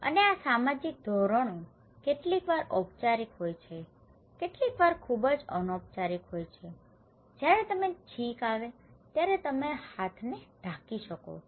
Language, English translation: Gujarati, And these social norms are sometimes formal, sometimes very informal like you can put cover your hands when you were sneezing